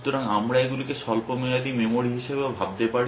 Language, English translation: Bengali, So, we can also think of these as short term memory